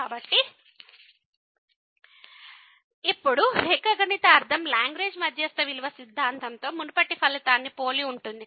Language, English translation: Telugu, So, now the geometrical meaning is similar to the earlier result on Lagrange mean value theorem